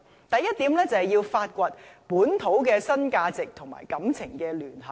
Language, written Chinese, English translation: Cantonese, 第一，要發掘本土的新價值與情感聯繫。, First we should discover local new value with emotion connection